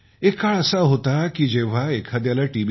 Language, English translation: Marathi, There was a time when, after coming to know about T